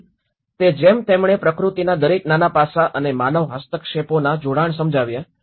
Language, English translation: Gujarati, So, like that he did explain the connections of each and every small aspect of nature and the human interventions